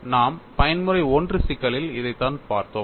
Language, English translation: Tamil, So, let us look at the mode 3 situation